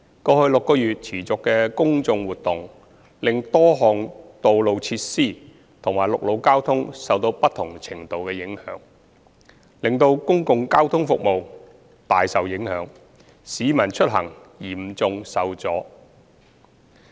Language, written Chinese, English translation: Cantonese, 過去6個月持續的公眾活動，令多項道路設施及陸路交通受到不同程度的影響，使公共交通服務大受影響，市民出行嚴重受阻。, Due to the continuous public events in the past six months various road facilities and land transport services have been affected to varying degrees which have greatly hampered the land public transport services and seriously obstructed the travel of the general public